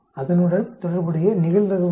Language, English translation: Tamil, What is the probability associated with that